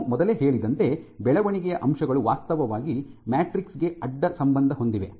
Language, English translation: Kannada, So, as I said that growth facts some of these growth factors are actually cross linked into the matrix